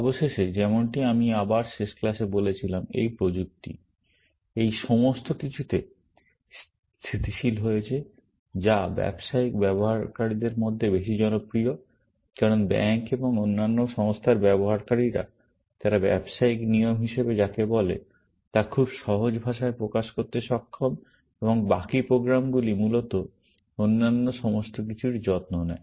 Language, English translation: Bengali, Eventually, as I said in my last class, this technology, all this has stabilized into something, which is more popular among business users, because users in banks and other such organizations; they are able to express what they call as business rules in a very simple language, and the rest of the programs takes care of everything else, essentially